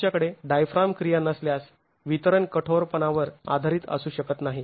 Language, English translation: Marathi, If you do not have diaphragm action, the distribution cannot be based on the stiffnesses